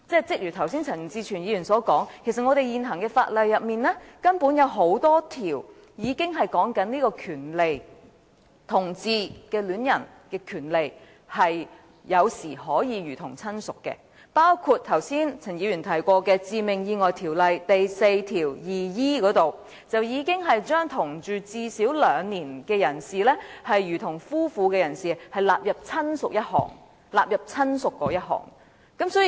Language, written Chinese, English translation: Cantonese, 正如陳志全議員剛才所說，其實在現行法例中根本已有很多訂明同志戀人的權利有時可以如同親屬，包括陳議員剛才提及的《致命意外條例》第 42e 條，該條文已把同住最少兩年，如同夫妻的人士納入"親屬"之內。, As Mr CHAN Chi - chuen said earlier actually in many existing ordinances it is already stated that LGBT lovers can sometimes have the same rights of relatives such as section 42e of the Fatal Accidents Ordinance mentioned by Mr CHAN earlier which provides that a person who had lived with the deceased for two years as husband and wife be included as relative